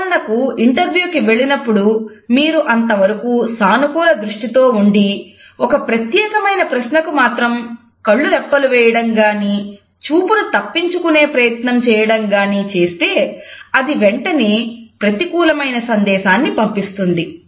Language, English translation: Telugu, For example, you have been facing the interview board with a positive eye contact, but suddenly in answer to a particular question you start blinking or you start avoiding the gaze, then it would send negative messages immediately